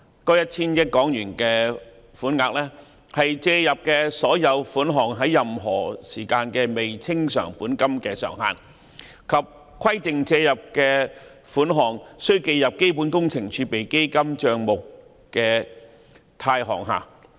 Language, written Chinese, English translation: Cantonese, 該 1,000 億港元的款額是借入的所有款項在任何時間的未清償本金的上限，而規定借入的款額須記入基本工程儲備基金帳目的貸項下。, The sum of HK100 billion is the maximum amount of all borrowings that may be outstanding by way of principal at any time and the sums borrowed are required to be credited to CWRF